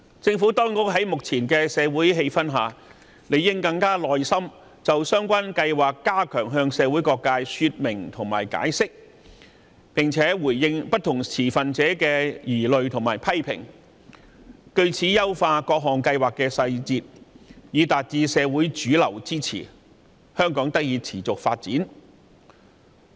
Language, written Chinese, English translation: Cantonese, 在目前的社會氣氛下，政府當局應當更有耐心，就相關計劃向社會各界加強說明及解釋，並且回應不同持份者的疑慮和批評，藉此優化各項計劃的細節，爭取社會主流的支持，香港才可持續發展。, Under the present social atmosphere the Government should further elaborate and explain the projects to different sectors of society with more patience . It should also respond to the concerns and criticisms of stakeholders so as to seek the support from mainstream society by fine - tuning its projects accordingly . This is how Hong Kong can continue to prosper